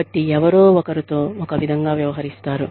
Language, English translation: Telugu, So, somebody is treated, one way